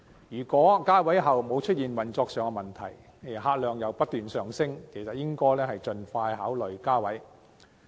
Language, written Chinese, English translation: Cantonese, 如果加位不會帶來運作上的問題，而客量又不斷上升，便應盡快考慮加位。, If increasing the seating capacity does not cause operating problem while the number of passengers is on the increase the idea to increase more seats should be considered expeditiously